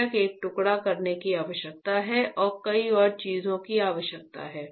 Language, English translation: Hindi, Of course there is a slicing required and many more things are required